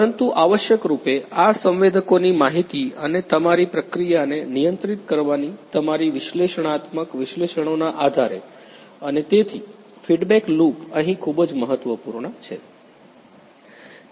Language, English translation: Gujarati, But essentially based on these you know the sensors information and your analysis analytics you have to control the process and so, the feedback loop is very much important over here